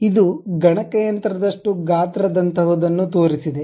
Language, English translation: Kannada, So, it showed something like a size like computer